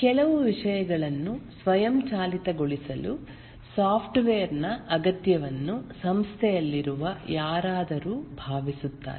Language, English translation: Kannada, Somebody in a organization feels the need for a software to automate certain things